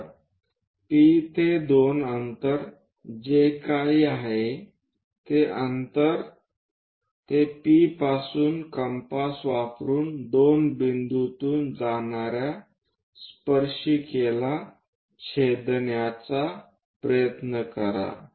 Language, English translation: Marathi, So, P to 2 prime distance whatever it is there use that distance using compass from P try to intersect the line tangent which is passing through 2 point